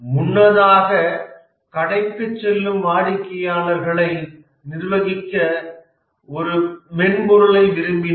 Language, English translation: Tamil, Earlier, for example, wanted a software to, let's say, manage the customers who visit the store